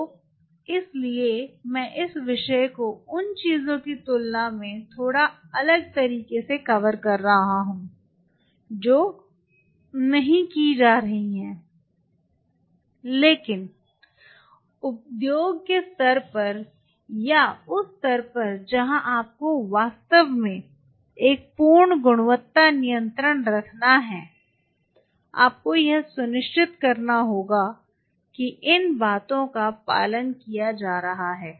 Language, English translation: Hindi, So, that is why I am kind of covering this topic in a slightly different way the things which are not being done, but at the industry level or at the level where you really have to have a perfect quality control there you have to ensure that these things are being followed